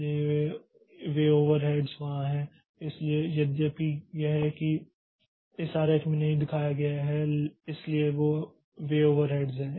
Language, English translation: Hindi, So, those overheads are there so though it is not shown in this diagram so those overhead there